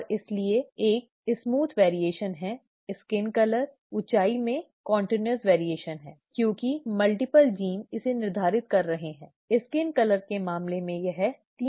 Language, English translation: Hindi, And therefore there is a smooth variation, there is a continuous variation in heights, in skin colour and so on so forth, because multiple genes are determining this, in the case of skin colour it is 3 genes